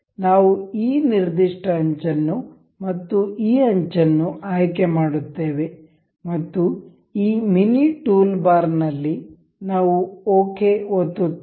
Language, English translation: Kannada, We will select this particular edge and this edge and we will click ok in this mini toolbar